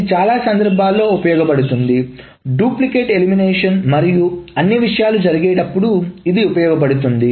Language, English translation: Telugu, This is useful for many cases while duplicate elimination and all those things, this can be useful